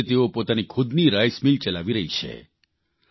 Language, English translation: Gujarati, Today they are running their own rice mill